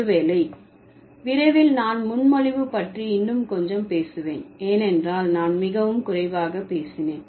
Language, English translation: Tamil, Maybe just quickly I'll talk a little more about presupposition because I spoke very little